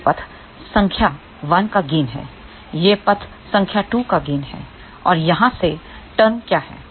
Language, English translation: Hindi, This is the gain of path number 1 this is the gain of the path number 2 and what are these terms here